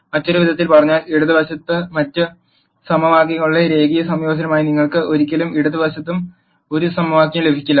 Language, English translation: Malayalam, In other words you can never get any equation on the left hand side as a linear combinations of other equations on the left hand side